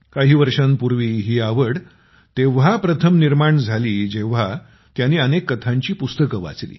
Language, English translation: Marathi, Years ago, this interest arose in him when he read several story books